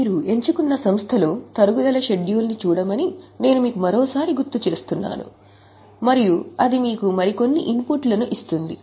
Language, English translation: Telugu, I will once again remind you to look at the depreciation schedule as per your own company and that will give you some more inputs